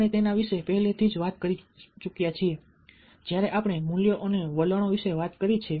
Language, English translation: Gujarati, we have already talked about that when we talked about ah values and all that